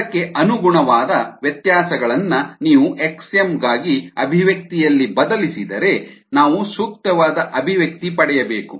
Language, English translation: Kannada, if you substitute in the expression for x m, we should get the appropriate expression